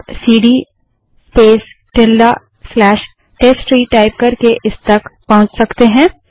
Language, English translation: Hindi, You can move to it by typing cd space ~ slash testtree